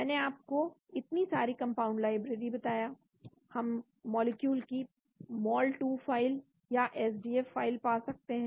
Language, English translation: Hindi, compound library I told you so many compound libraries we can get the mol 2 file or SDF file of the molecule